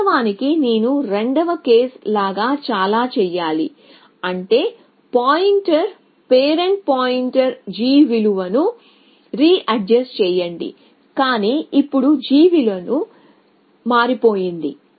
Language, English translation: Telugu, So, actually I should do like this then like case 2 which means readjust the pointer, parent pointer readjust g value, but now the g value has changed essentially